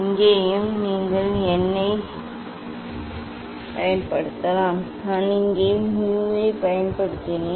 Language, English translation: Tamil, here also you can use n anyway I have used mu here